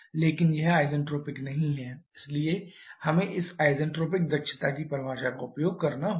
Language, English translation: Hindi, So, let us try to solve it using the definition of isentropic efficiencies